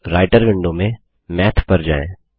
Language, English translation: Hindi, Now, in the Writer window, let us call Math